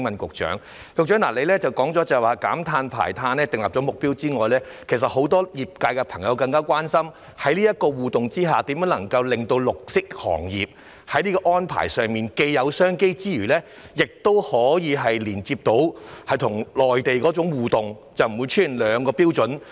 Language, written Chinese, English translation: Cantonese, 局長指出在減碳和排碳方面已訂下目標，但很多業界朋友更加關心的是，在這種互動下，如何令綠色行業在這些安排上既有商機之餘，亦可以連接與內地的互動而不會出現兩個標準？, The Secretary pointed out that targets have been set for decarbonization and carbon emission . But many members of the industry are more concerned about how through these interactions the green industry can avail itself of business opportunities under such arrangements and also connect and interact with the Mainland without being confronted with two sets of standards